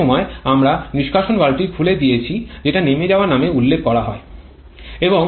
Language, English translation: Bengali, That time itself we have opened the exhaust valve which is referred to as a blowdown